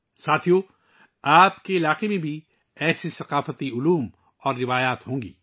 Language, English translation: Urdu, Friends, there will be such cultural styles and traditions in your region too